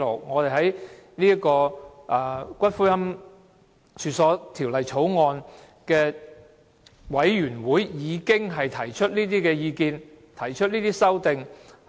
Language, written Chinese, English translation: Cantonese, 我們在《私營骨灰安置所條例草案》委員會的會議上已提出這些意見和修正案。, We had already expressed these views and proposed our amendments in the meetings of the Bills Committee on Private Columbaria Bill